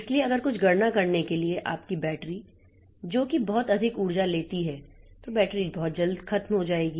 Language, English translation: Hindi, So, if for some doing some computation your battery, the energy that is taken is very high, then the battery will drain out very soon